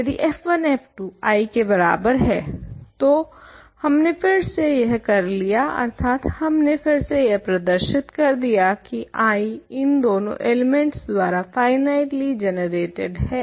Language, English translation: Hindi, If, f 1 f 2 is equal to I, we are done again, meaning we have shown that I is finitely generated by these two elements